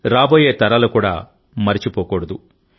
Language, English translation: Telugu, The generations to come should also not forget